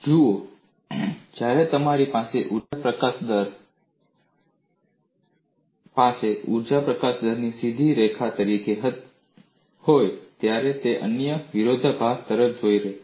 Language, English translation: Gujarati, When you have the energy release rate as a straight line, it leads to another contradiction